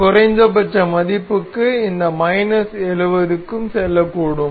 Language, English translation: Tamil, And for this minimum value this could go to minus 70